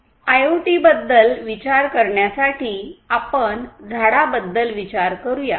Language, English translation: Marathi, To think about IoT; let us think about let us you know think about a tree